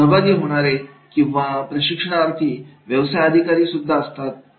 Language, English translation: Marathi, So the participants or trainees are the business executives